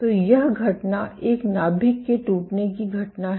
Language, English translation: Hindi, So, this event is a nuclear rupture event